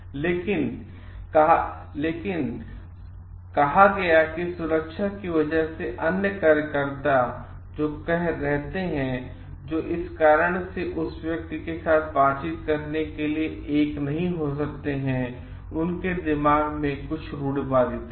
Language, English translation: Hindi, But given said that because the safety of the other workers who stay , who dosen t may be one to interact with this person due to some stereotype in their mind